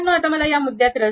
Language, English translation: Marathi, Now, I am not interested about this point